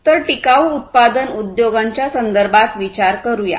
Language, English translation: Marathi, So, let us consider the context of sustainable manufacturing industries